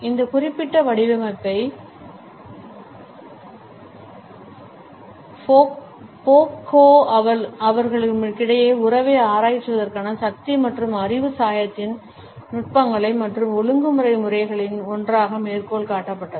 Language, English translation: Tamil, This particular design was also cited by Foucault as one of the techniques and regulatory modes of power and knowledge dyad to explore the relationship between them